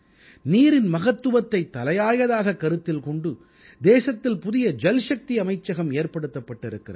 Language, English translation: Tamil, Therefore keeping the importance of water in mind, a new Jalashakti ministry has been created in the country